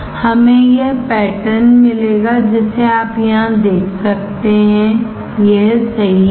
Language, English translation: Hindi, We will get this pattern which you can see here, right this one